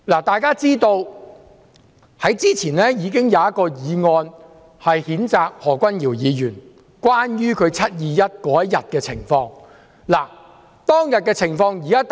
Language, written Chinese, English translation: Cantonese, 大家都知道，早前已經有一項議案譴責何君堯議員，關於他在"七二一"當天的情況。, As we all know earlier on there was a censure motion against Dr Junius HO in relation to what he had done on the day of the 21 July incident